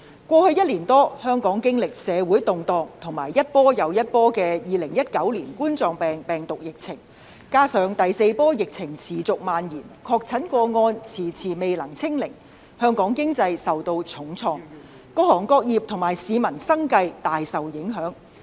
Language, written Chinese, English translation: Cantonese, 過去一年多，香港經歷社會動盪和一波接一波的2019冠狀病毒病疫情，加上第四波疫情持續蔓延，確診個案遲遲未能"清零"，香港經濟受到重創，各行各業和市民的生計均大受影響。, Hong Kong has gone through the social turmoil and multiple waves of Coronavirus Disease 2019 outbreak in the past year or so coupled with the continuous spread of the fourth wave of the epidemic and the repeated failure to achieve zero infection our economy has been hit hard and various trades and industries as well as the livelihood of Hong Kong people have been badly affected